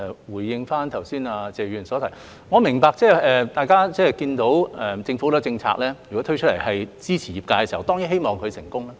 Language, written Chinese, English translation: Cantonese, 回應剛才謝議員的補充質詢，我明白大家看到政府推出很多政策支持業界，當然希望企業會成功。, In response to Mr TSEs supplementary question just now I understand that as the Government has introduced a lot of policies to support the industry people certainly hope that the enterprises will be successful